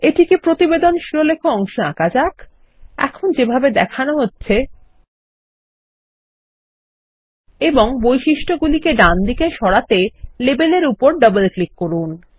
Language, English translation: Bengali, Let us draw it on the Report Header area, as being shown now and double click on the Label to bring up its properties on the right